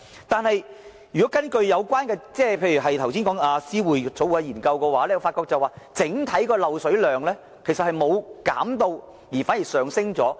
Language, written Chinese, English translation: Cantonese, 但是，根據剛才議員提到的思匯政策研究所的報告書，本港整體漏水量沒有減少，反見增加。, However according to the report from Civic Exchange mentioned by a Member just now the overall leakage volume in Hong Kong has not decreased but increased instead simply because the Government can only tackle leakage from public mains